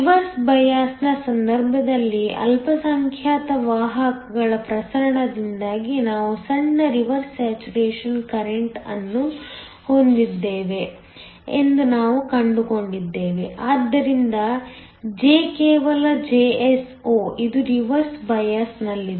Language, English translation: Kannada, In the case of a reverse bias, we found that we have a small reverse saturation current that is due to the diffusion of the minority carriers so that, J is just Jso this is in reverse bias